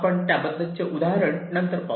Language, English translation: Marathi, this we shall see later through examples